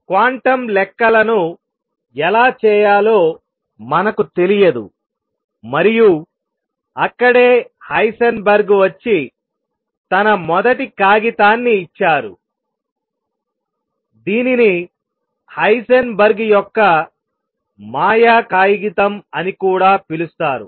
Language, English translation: Telugu, We do not know how to do quantum calculations themselves and that is where Heisenberg’s comes and gives his first paper which has also being called the magical paper of Heisenberg